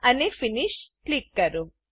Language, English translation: Gujarati, And Click Finish